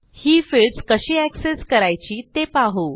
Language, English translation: Marathi, Now, we will learn how to access these fields